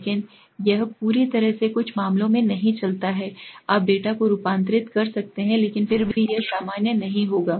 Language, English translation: Hindi, But this not entirely go way in some cases although you may transform the data but still it will not be normal